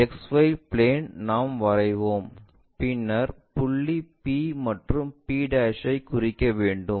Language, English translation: Tamil, XY plane we will write, draw then mark point P and p'